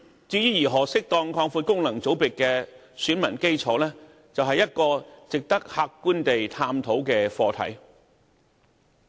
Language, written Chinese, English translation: Cantonese, 至於如何適當擴闊功能界別的選民基礎，是一個值得客觀地探討的課題。, Meanwhile regarding the appropriate broadening of the electoral base of functional constituencies it is an issue worthy of an objective examination